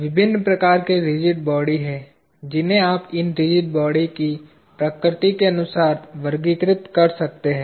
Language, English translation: Hindi, There are different kinds of rigid bodies that you can classify them into, by the very nature of these rigid bodies